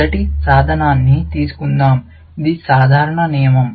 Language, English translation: Telugu, Let us take the first tool, which is the simple rule